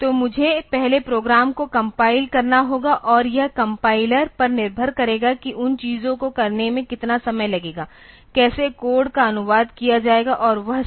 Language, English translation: Hindi, So, I have to first compile the program and it depends on the compiler like how much time it will take for doing those things ok; for how the code will be translated and all that